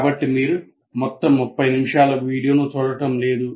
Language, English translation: Telugu, So you don't have to go through watching the entire 30 minute video